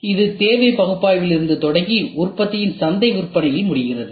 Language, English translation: Tamil, So, it starts from need analysis and ends at market sales of the product